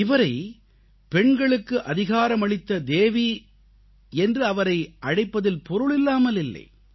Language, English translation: Tamil, She has not been hailed as Goddess of women empowerment just for nothing